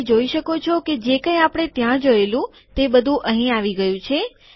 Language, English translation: Gujarati, You can see that whatever we saw there has come here